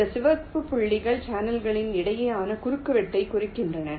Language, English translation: Tamil, and this red dots indicate the intersection between the channels right in the channel intersection graph